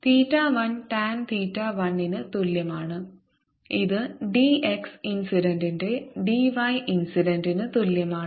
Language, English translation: Malayalam, theta one is roughly same as tan theta one, which is same as d y, incident by d x